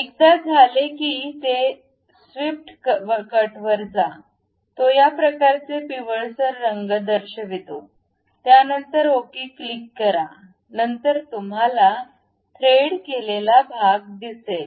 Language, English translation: Marathi, Once it is done go to swept cut it shows this kind of yellowish tint, then click ok, then you see the threaded portion